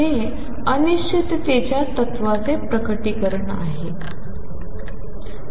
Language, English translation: Marathi, This is the manifestation of the uncertainty principle